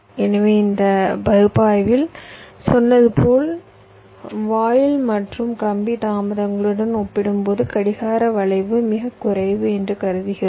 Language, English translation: Tamil, so in this analysis, as i said, we assume that clock skew is negligible as compared to the gate and wire delays clock skew we shall be considering separately